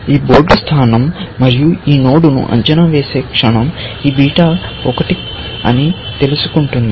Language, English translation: Telugu, The moment we evaluate this position and this node knows that this beta is 1